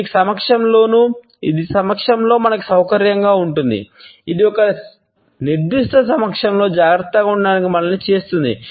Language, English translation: Telugu, It makes us comfortable in a presence, it makes us to feel cautious in a particular presence